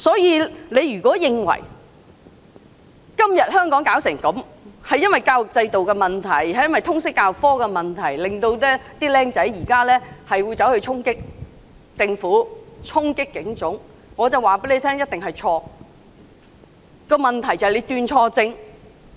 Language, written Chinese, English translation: Cantonese, 因此，如果有人認為香港今天的局面源於教育制度出了問題、源於通識教育科出了問題，以致年輕人衝擊政府、衝擊警察總部，這必定是"斷錯症"。, Therefore if anyone believes that the defects in our education system and the problems with Liberal Studies have prompted our young people to storm the Government and the Police Headquarters he has definitely made the wrong diagnosis